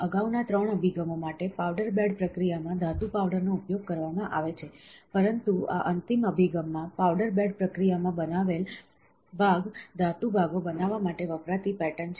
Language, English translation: Gujarati, For the previous 3 approaches, metal powder is utilised in the powder bed process, but in this final approach, the part created in the powder bed process is a pattern used to create metal parts, pattern used to create metal parts